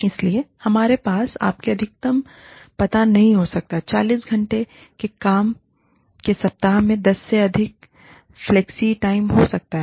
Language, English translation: Hindi, So, we cannot have a maximum, you know, more than, maybe, 10 hours of flexi time in a 40 hour work week